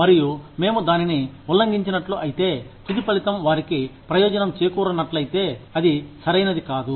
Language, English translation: Telugu, And, if we infringed upon that, then even, if the end result ends up benefiting them, it is not right